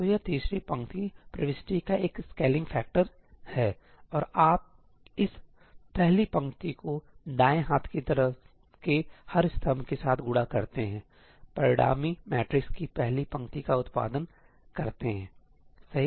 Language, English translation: Hindi, So, that is a scaling factor of the third row entry; and you multiply this first row with every column of the right hand side producing the first row of the resultant matrix, right